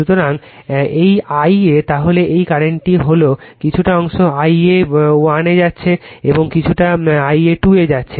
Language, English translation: Bengali, So, this I a then , this current is, , some part is going to I a 1 and going to I a 2